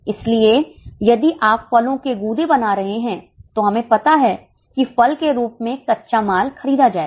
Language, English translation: Hindi, So, if we are making fruit pulp, we know that raw material in the form of fruit will be purchased